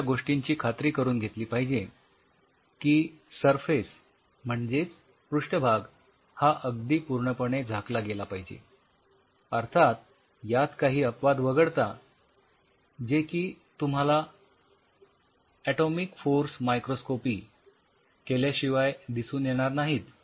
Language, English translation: Marathi, So, you have to keep that in mind the surface coverage should be completely full leaving a side of course, there may be little space that you cannot really judge unless otherwise you do atomic force microscopy on it